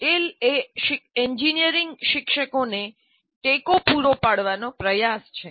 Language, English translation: Gujarati, So tail is an attempt to provide support to engineering teachers